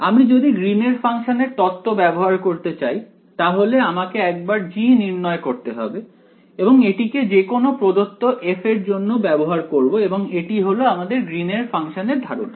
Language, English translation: Bengali, If I wanted to use the theory of Green’s function, I would calculate this G once and then use it for whatever f is given to me that is the idea of Green’s function